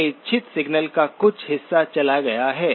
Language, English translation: Hindi, Some part of my desired signal is gone